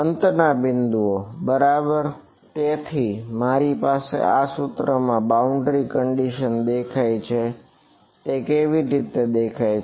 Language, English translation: Gujarati, The endpoints right; so, I have so, the boundary conditions appear in this equation how do they appear